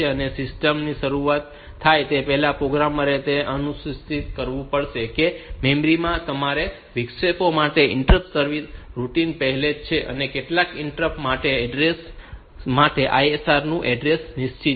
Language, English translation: Gujarati, So, before the system starts the programmer has to ensure that the interrupt service routine for all the interrupts are already in place in the memory and for some of the interrupts these address the address of the ISR is fixed ok